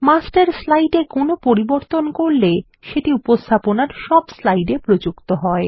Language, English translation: Bengali, Any change made to the Master slide is applied to all the slides in the presentation